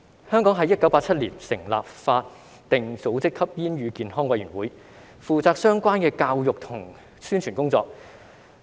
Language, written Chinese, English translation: Cantonese, 香港在1987年成立法定組織香港吸煙與健康委員會，負責相關的教育和宣傳工作。, In 1987 the Hong Kong Council on Smoking and Health HKCSH a statutory body was established in Hong Kong to undertake the relevant education and publicity work